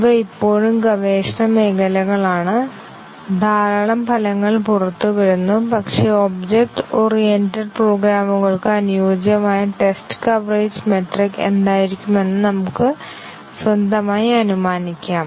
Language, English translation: Malayalam, These are still areas of research lot of results are coming out, but then we can make our own inference about what can be a suitable test coverage metric for object oriented programs